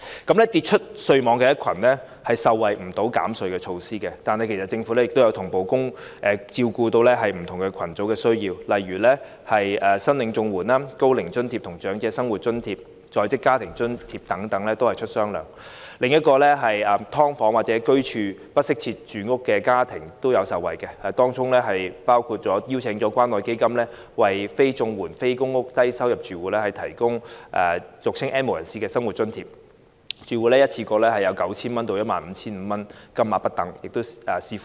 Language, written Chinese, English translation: Cantonese, 至於跌出稅網的一群，他們不能受惠於減稅措施，但政府其實已經同步照顧不同群組的需要，例如向領取綜合社會保障援助、高齡津貼、長者生活津貼及在職家庭津貼等的人士發放"雙糧"。此外，居於"劏房"或不適切住房的家庭亦有受惠，當中包括邀請關愛基金為非綜援、非公屋的低收入住戶提供俗稱的 "N 無人士"生活津貼，住戶可一次過獲得 9,000 元至 15,500 元不等，視乎人數而定。, Although those who have fallen out of the tax net cannot benefit from the tax reduction measures the Government has in fact catered for the needs of different groups at the same time such as providing a one - off extra payment equivalent to one months standard rate for recipients of the Comprehensive Social Security Assistance CSSA Old Age Allowance Old Age Living Allowance and Working Family Allowance etc . In addition households living in subdivided units or those inadequately housed can also benefit from such measures as inviting the Community Care Fund to provide a living subsidy for low - income households not receiving CSSA and not living in public rental housing PRH which is commonly known as the living subsidy for the N have - nots under which each household will receive a one - off subsidy ranging from 9,000 to 15,500 depending on the number of household members